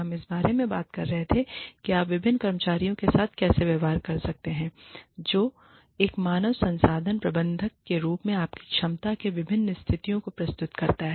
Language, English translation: Hindi, We were talking about, how you can deal with different employees, who present, different situations to you, in your capacity as a human resources manager